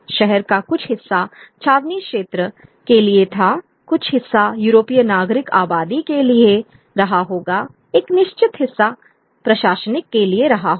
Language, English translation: Hindi, There are certain part of the city would be meant for the cantonment area, certain part will be meant for the European civilian population, a certain part would be meant in for the administrative